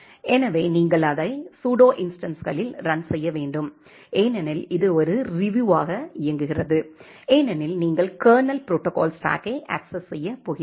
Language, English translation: Tamil, So, you have to run it is in the pseudo instances, because it run as a Ryu you are going to access the kernel protocol stack